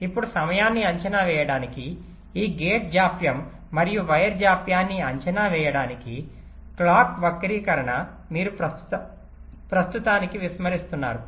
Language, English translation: Telugu, ok, now to estimate the timing, to estimate this gate delays and wire delays clock skew you are ignoring for time being